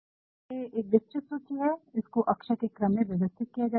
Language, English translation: Hindi, Since it is a comprehensive list, it is actually arranged alphabetically fine